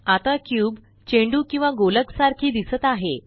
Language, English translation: Marathi, Now the cube looks like a ball or sphere